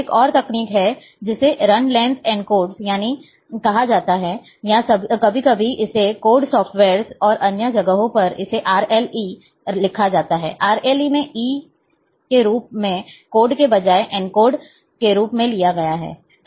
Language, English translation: Hindi, There is another technique, which is called Run Length Encodes, or sometimes it is written as, a in many softwares and elsewhere, it is also mentioned as RLE, E here instead of code, it is stands for encodes